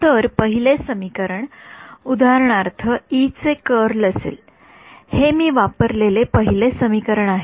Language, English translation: Marathi, So, the first equation will be for example, curl of E, this is the first equation that I use